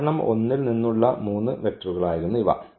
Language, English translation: Malayalam, So, these were the three vectors from example 1